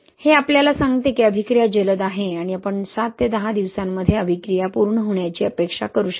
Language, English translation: Marathi, So it tells us that the reaction is fast and we can expect reaction to complete in seven to ten days completely